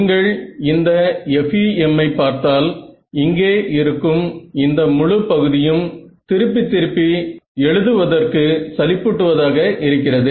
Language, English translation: Tamil, This if you notice this FEM this whole term over here becomes very tedious to write again and again